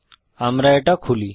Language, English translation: Bengali, Let me open it